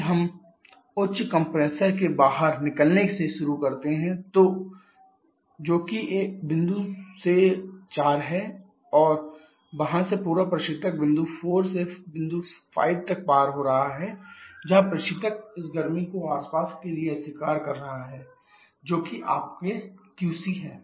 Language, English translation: Hindi, If we start from the exit of the higher compressor which is point number 4 from there into the entire refrigerant is crossing from point 4 to point 5 where the refrigeration is reacting this heat to the surrounding which is your QC